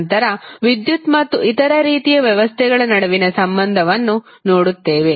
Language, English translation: Kannada, Then, we will see the relationship between electricity and the other type of systems